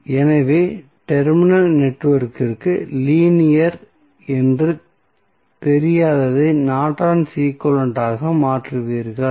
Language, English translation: Tamil, So, you will simply replace the unknown that is linear to terminal network with the Norton's equivalent